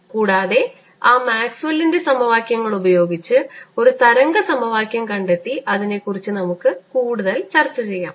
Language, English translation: Malayalam, in this lecture i want to use them the way maxwell has written it and using those maxwell's equations we want to derive a wave equation and then discuss it further